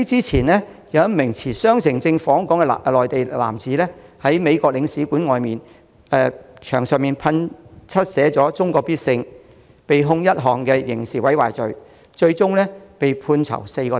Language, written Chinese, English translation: Cantonese, 前不久，一名持雙程證訪港的內地男子，在美國領事館外牆用噴漆噴上"中國必勝"字句，被控刑事毀壞罪，被判囚4星期。, Not long ago a mainland man visiting Hong Kong on a two - way permit was sentenced to four weeks imprisonment for criminal damage as he attempted to scrawl the words China will prevail with paint on the outer walls of the Consulate General of the United States